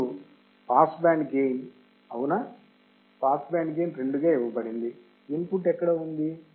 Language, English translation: Telugu, And pass band gain right pass band gain is given 2 right; where is the input